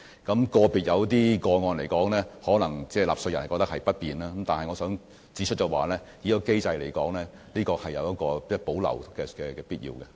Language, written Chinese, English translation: Cantonese, 在有些個別個案中，納稅人可能覺得不便，但我想指出，這個機制有保留的必要。, Taxpayers may possibly be inconvenienced in certain cases but I would like to point out that this mechanism needs to be retained